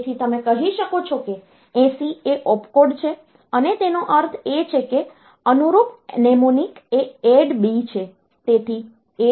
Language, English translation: Gujarati, So, 80 is the opcode you can say, and it means that corresponding mnemonic is ADD B